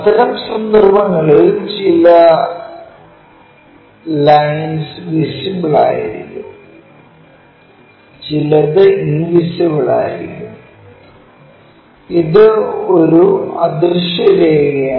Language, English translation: Malayalam, In that case these lines will be visible this one also visible and this one is invisible line